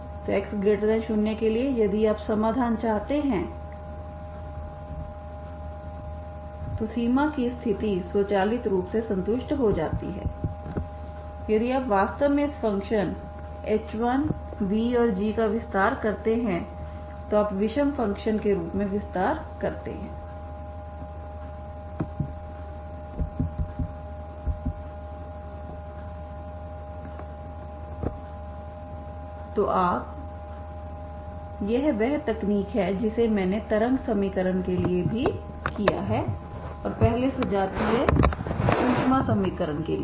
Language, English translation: Hindi, So for x positive if you want to have the solution this boundary condition is automatically satisfied if you actually extend this functions v and h1 and g you extend as an odd functions this is the technique I have done even for wave equation and earlier heat equation with for the homogeneous heat equation, okay